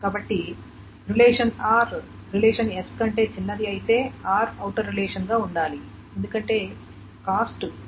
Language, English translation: Telugu, So R should be the outer relation if R is smaller than S because the cost is BR plus NR times CS